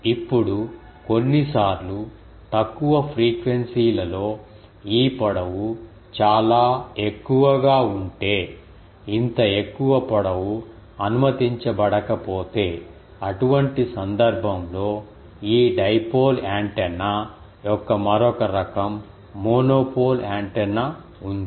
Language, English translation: Telugu, Now, sometimes in particularly at lower frequencies if this length is quite ah high ah if the such a high ah length is not permissible, another variety of this dipole antenna which is called monopole antenna is also there